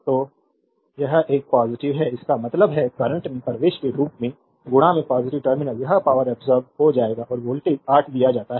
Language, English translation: Hindi, So, it is a positive; that means, as current entering into the positive terminal it will be power absorbed and voltage is given 8